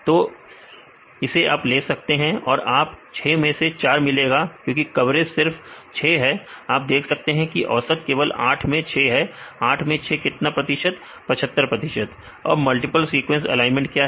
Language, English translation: Hindi, So, you can take this you can get 4 by 6 because coverage is only 6 you can see this is the average is only 6 by 8, 6 by 8 means how many percentage; 75 percentage, yeah 75 percentage and then what is the multiple sequence alignment